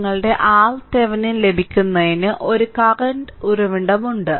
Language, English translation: Malayalam, Therefore for the your getting your R thevenin, this there is a current source